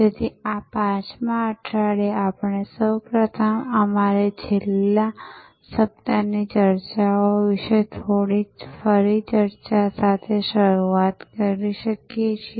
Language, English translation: Gujarati, So, in this week five we can first start with a bit of a recap about our last week’s discussions